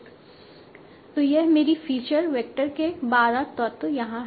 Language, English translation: Hindi, So how many, what is the size of my feature vector